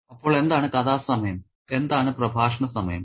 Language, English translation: Malayalam, Okay, so what is story time and what is discourse time